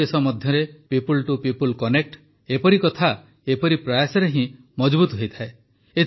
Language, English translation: Odia, The people to people strength between two countries gets a boost with such initiatives and efforts